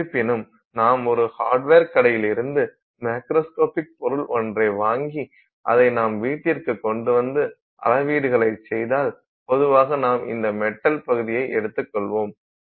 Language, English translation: Tamil, However if you buy something macroscopic from a hardware store and you bring it to your house and you make measurements generally you will find that this is not the case